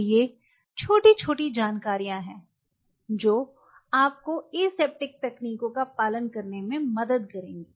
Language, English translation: Hindi, So, these are a small bits and pieces of information’s which will help you to follow the aseptic techniques